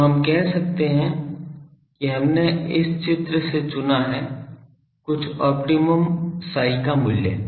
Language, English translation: Hindi, So, let us say that we have chosen from this figure, some optimum psi value